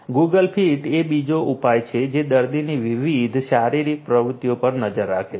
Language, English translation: Gujarati, Google Fit is another solution which keeps track of different physical activities of the patient